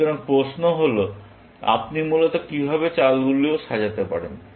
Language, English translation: Bengali, So, the question is; how can you order moves, essentially